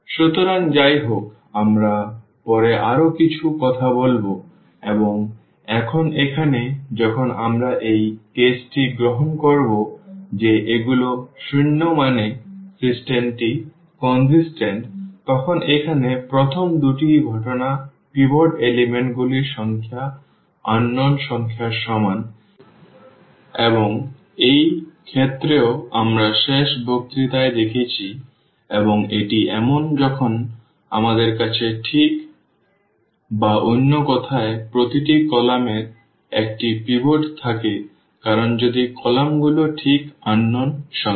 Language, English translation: Bengali, So, anyway so, we will be talking little more later and now here when we take this case that these are zeros meaning the system is consistent then there are two cases the first here the number of pivot elements is equal to the number of unknowns and this case also we have seen in the last lecture and this is the case when we have exactly or in other words that each column has a pivot because if the column columns are exactly the number of unknowns